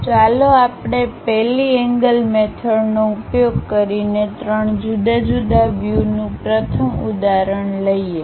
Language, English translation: Gujarati, So, let us take first example three different views using 1st angle method